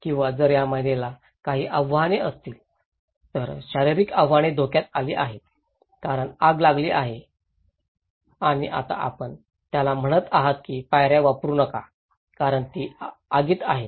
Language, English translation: Marathi, Or if this lady having some challenges, physical challenges is at risk because there is a fire and now you are saying to him that don’t use the staircase because it is in fire